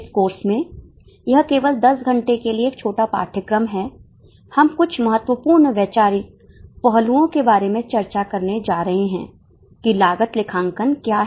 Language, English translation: Hindi, In this course, this is a short course just for 10 hours, we are going to discuss about certain important conceptual aspects as to what cost accounting is